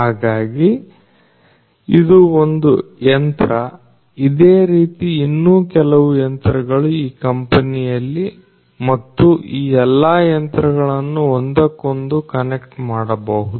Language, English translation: Kannada, So, this is one machine like this there are few other machines in this particular company and all of these machines could also be interconnected